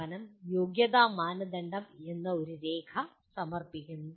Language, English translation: Malayalam, The institution submits a document called eligibility criteria